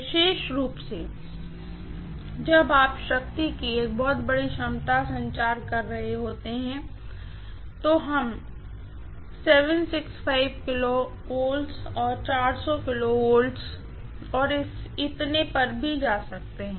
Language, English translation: Hindi, Especially, when you are transmitting a very large capacity of power, we may go as high as 765 KV, 400 KV and so on